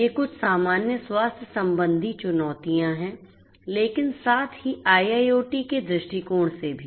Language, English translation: Hindi, These are some of the generic healthcare challenges, but from an IIoT perspective as well